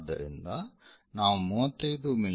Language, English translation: Kannada, So, it is 35 mm